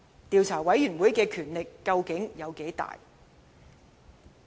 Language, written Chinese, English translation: Cantonese, 調查委員會的權力究竟有多大？, What was the scope of power of the investigation committee?